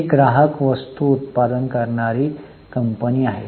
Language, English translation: Marathi, This is a consumer goods manufacturing company